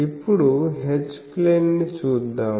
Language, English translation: Telugu, Now, let us see the H plane